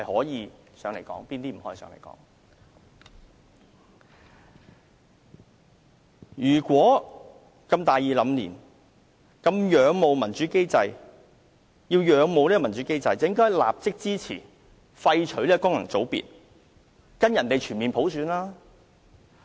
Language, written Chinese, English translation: Cantonese, 如果他如此大義凜然、如此仰慕民主機制，便應立刻支持廢除功能界別，跟隨外國議會進行全面普選。, If he is so righteous and highly admires the democratic systems he should support the immediate abolition of functional constituencies and the implementation of universal suffrage by adopting the practices of overseas legislatures